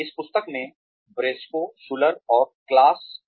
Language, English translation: Hindi, There is this book by, Briscoe Schuler and Claus